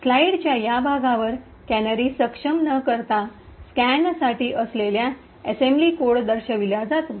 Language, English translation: Marathi, So, over here on this part of the slide shows the assembly code for scan without canaries enabled